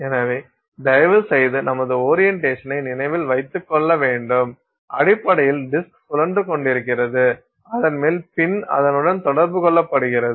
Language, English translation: Tamil, So, please remember our orientation is you essentially have the disk which is pinning and on top of it the pin is put in contact with it